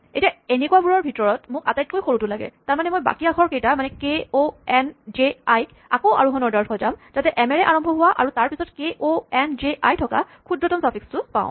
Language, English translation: Assamese, And among suffix that begins with letter m I need the smallest one, that mean I rearrange the remaining letters k o n j i in ascending order to give me the smallest permutation to begin with m and has the letters k o n j i after it